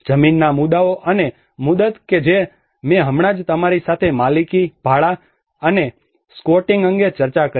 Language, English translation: Gujarati, Land issues and tenures that is what I just discussed with you the ownership, the renting, and the squatting